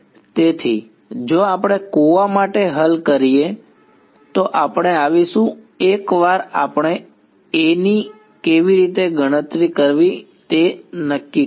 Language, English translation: Gujarati, So, if we solve for a well we will come to that we will come once let us settle how to calculate A ok